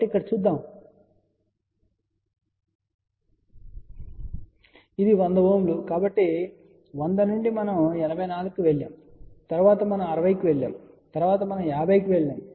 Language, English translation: Telugu, So, from 100 we went to 84, then we went to 60 and then we went to 50